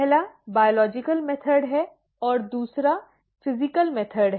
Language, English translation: Hindi, The first is the biological method and the second is the physical method